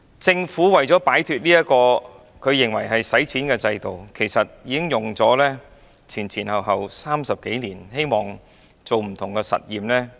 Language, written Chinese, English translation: Cantonese, 政府為了擺脫這個它認為是費錢的制度，前後用了30多年時間進行不同的實驗。, This system however is a big spender in the eyes of the Government . In order to get rid of it the Government spent some 30 years carrying out different experiments